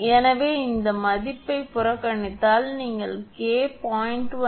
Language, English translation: Tamil, So, this value ignore you will get K is equal to 0